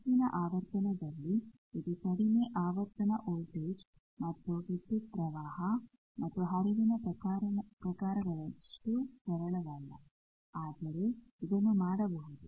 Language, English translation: Kannada, It is not as simple as the low frequency voltage and current and voltage and current flow type but it can be done